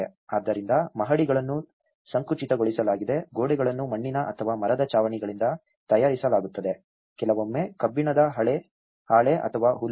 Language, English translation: Kannada, So, floors have been compressed earth, walls are made with mud or timber roofs, sometimes an iron sheet or thatch